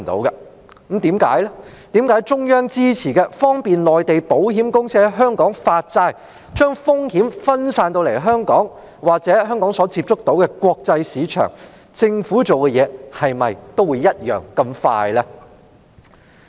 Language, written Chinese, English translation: Cantonese, 是否中央支持的方便內地保險公司在香港發債，將風險分散至香港——或香港所接觸到的國際市場——的措施，政府便會這樣迅速處理？, Is it the case that the Government will act swiftly when it comes to measures supported by the Central Government to facilitate Mainland insurers to issue bonds in Hong Kong to spread their risks to Hong Kong or the international market to which Hong Kong has access?